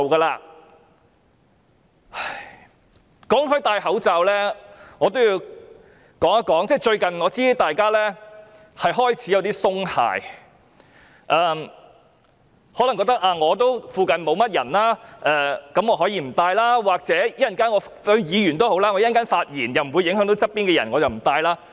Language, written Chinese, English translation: Cantonese, 談到佩戴口罩，我想說，我知道最近大家開始有點鬆懈，可能覺得自己附近沒有人便可以不戴口罩，或有議員覺得稍後將會發言，如不會影響鄰座同事便不戴口罩了。, Speaking of wearing masks I would like to say that as I know recently the public have begun to let their guard down a little bit . Maybe they think it is fine to go without a mask when there is nobody around them . Some Members may think that if they will not affect the colleagues next to them there is no need to wear a mask when they speak later